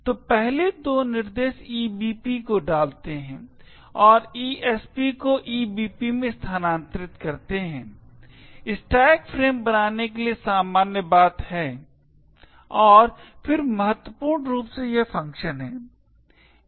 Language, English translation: Hindi, So, the first two instructions push EBP and move ESP to EBP, are the usuals thing to actually create the stack frame and then importantly is this function